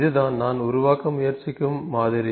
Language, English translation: Tamil, So, this is the model that I will, I am trying to generate here